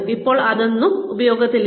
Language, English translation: Malayalam, Now, none of that, is in use anymore